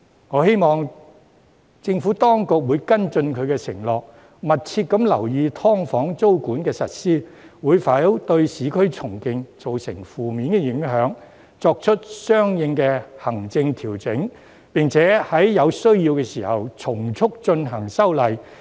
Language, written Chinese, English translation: Cantonese, 我希望政府當局會跟進其承諾，密切留意"劏房"租管的實施會否對市區重建造成負面影響，作出相應的行政調整，並在有需要時從速進行修例。, I hope the Administration will honour its undertakings and closely monitor whether the implementation of tenancy control on SDUs will have an adverse impact on urban renewal so as to make corresponding administrative arrangements and introduce legislative amendments where necessary